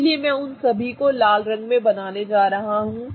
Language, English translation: Hindi, So, I am going to draw them all in red color